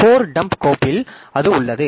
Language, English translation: Tamil, So, in the code dump file, so it is there